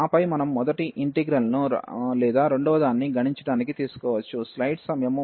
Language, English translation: Telugu, And then either we can take the first integral or the second one to compute